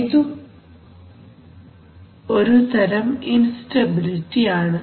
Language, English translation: Malayalam, So that is also kind of, so instability